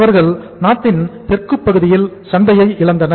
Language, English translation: Tamil, They lost the market in the southern part of the country